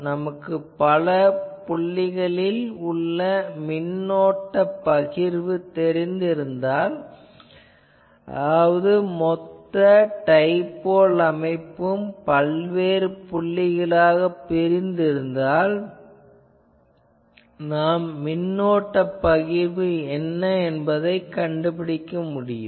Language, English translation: Tamil, Because, if you know this current distribution at various points; that means, you are dividing the whole dipole structure in various points and there you can find out what is the current distribution